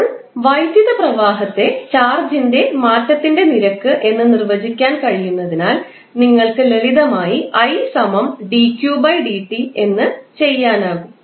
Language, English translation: Malayalam, Now, since electric current can be defined as the time rate change of charge, you can simply define it as I is equal to dq by dt